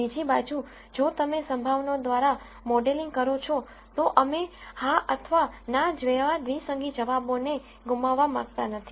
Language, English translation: Gujarati, On the other hand if you model through probabilities, we do not want to lose binary answer like yes or no also